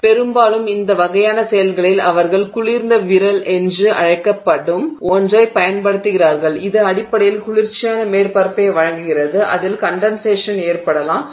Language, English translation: Tamil, So, that is why we would do this and so often we in these kinds of activities they use something called a cold finger which basically provides a cold surface on which the condensation can occur